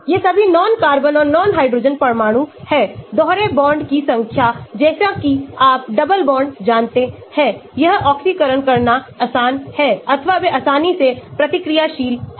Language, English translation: Hindi, these are all non carbon and non hydrogen atoms, number of double bonds as you know double bonds, it is easy to oxidize or they are easily reactable